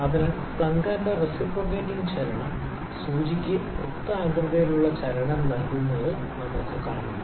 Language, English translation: Malayalam, So, we can see the reciprocating motion of the plunger is giving the circular motion to the needle